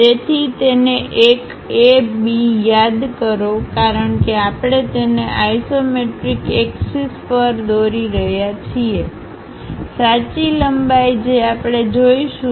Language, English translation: Gujarati, So, call this one A B because we are drawing it on isometric axis true lengths we will see